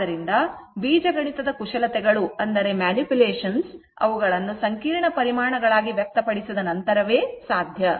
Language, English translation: Kannada, So, algebraic manipulations are possible only after expressing them as complex quantities right